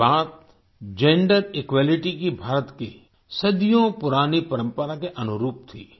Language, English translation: Hindi, This was in consonance with India's ageold tradition of Gender Equality